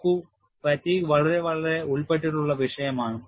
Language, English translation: Malayalam, See, fatigue is a very very involved subject